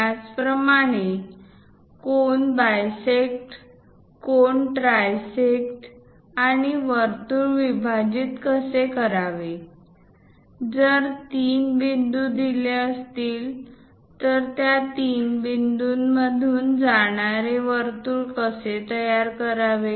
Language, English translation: Marathi, Similarly, how to bisect an angle, how to trisect an angle, how to divide circles, if three points are given how to construct a circle passing through these three points